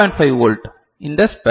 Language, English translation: Tamil, 5 volt is this span right